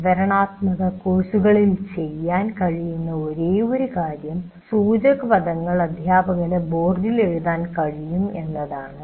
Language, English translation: Malayalam, The only thing that you can do in descriptive courses, you can write some key phrases on the board